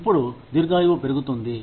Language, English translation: Telugu, Now, with longevity going up